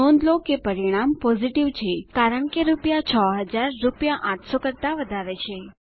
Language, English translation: Gujarati, Notice, that the result is Positive since rupees 6000 is greater than rupees 800